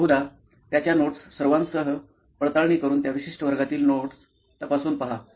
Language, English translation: Marathi, Probably verifying his notes with all, cross checking his notes from that particular class